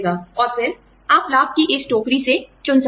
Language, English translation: Hindi, And then, you can choose, from this basket of benefits